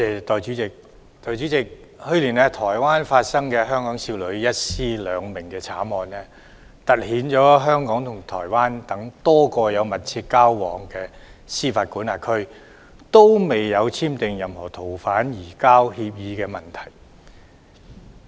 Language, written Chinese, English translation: Cantonese, 代理主席，去年台灣發生的香港少女一屍兩命慘案，凸顯香港與台灣等多個有密切交往的司法管轄區未有簽訂逃犯移交協定的問題。, Deputy President the homicide in Taiwan last year in which the victim was a pregnant young woman from Hong Kong highlighted the problem that there is no agreement on the surrender of fugitive offenders SFO between Hong Kong and a number of jurisdictions that Hong Kong has close ties with including Taiwan